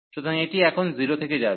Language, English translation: Bengali, So, this goes from 0 now